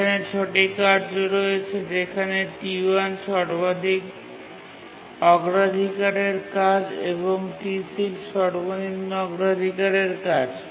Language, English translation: Bengali, We have six tasks here and T1 is the highest priority task and T6 is the lowest and the tasks have been ordered in terms of their priority